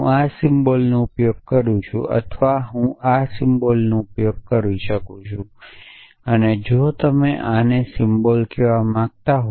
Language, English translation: Gujarati, So, I have use this symbol or I could have use this symbol and if you want to call this a symbol